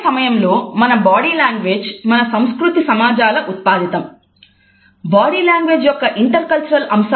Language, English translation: Telugu, At the same time our body language is also a product of our society and culture